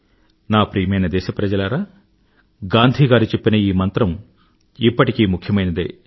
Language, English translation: Telugu, My dear countrymen, one of Gandhiji's mantras is very relevant event today